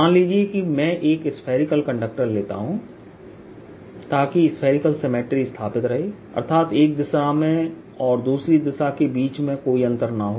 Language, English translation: Hindi, suppose i take a, a spherical conductor, so that there is spherical symmetry, there is no distinction between one direction and the other, and put some extra charge on it